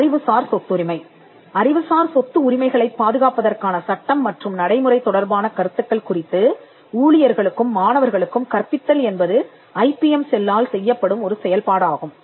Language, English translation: Tamil, Educating it staff and students on the concepts regarding to intellectual property rights, the law and procedure for securing intellectual property rights, so educating is a function that is done by the IPM cell